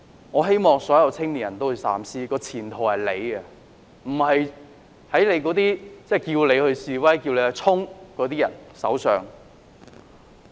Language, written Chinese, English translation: Cantonese, 我希望所有青年人三思，前途在你們手上，不要放在那些叫你示威或向前衝的人手上。, I hope that all young people will think twice . Your future is in your hand but not in the hands of those who incite you to protest or charge forward